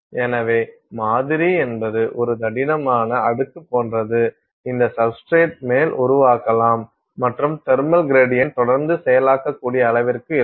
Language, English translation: Tamil, So, the sample is like a is like a thick layer which you can form on top of this substrate and to the extent that you can maintain the thermal gradient